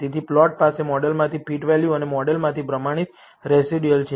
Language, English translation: Gujarati, So, the plot has fitted values from the model and the standardized residuals from the model